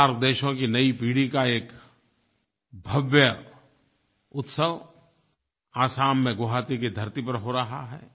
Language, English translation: Hindi, A grand celebration from the new generation of SAARC countries is happening on the land of Guwahati in Assam